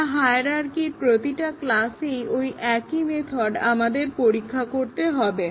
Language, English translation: Bengali, No, we have to test the same method in every class in the hierarchy